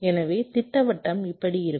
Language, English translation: Tamil, so the circuit is like this